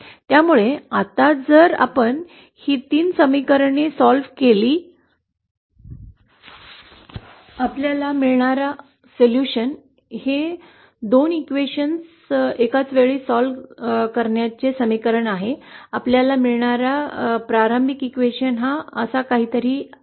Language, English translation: Marathi, So now if we solve these 3 equations, the solution that we get, the equation that we get on solving these 2 simultaneously questions, the difference early question that we get is something like this